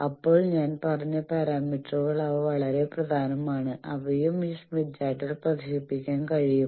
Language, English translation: Malayalam, Then I said scattering parameters they are very important we will see later, they also can be displayed on this smith chart